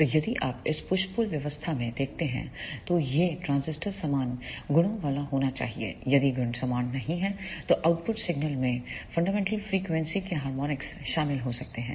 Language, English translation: Hindi, So, if you see in this push pull arrangement this transistor should be of similar properties if the properties are not similar then the output signal may contains the harmonics of the fundamental frequency